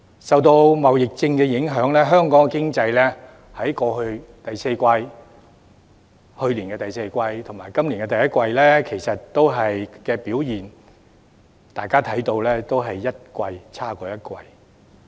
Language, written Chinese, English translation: Cantonese, 受到貿易戰的影響，大家都看到，香港的經濟在去年第四季及今年第一季的表現，都是一季比一季差。, We all see that under the influence of the trade war the performance of Hong Kongs economy deteriorated further in the first quarter of this year as compared to the fourth quarter of last year